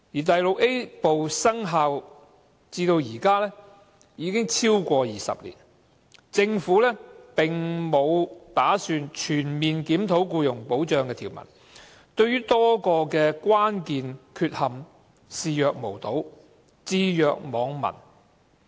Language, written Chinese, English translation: Cantonese, 第 VIA 部生效至今，已超過20年，政府並沒有打算全面檢討僱傭保障的條文，對多個關鍵問題視若無睹，置若罔聞。, Though Part VIA has been in force for over 20 years the Government has no intent to review comprehensively the employment protection provisions . It simply ignores many key issues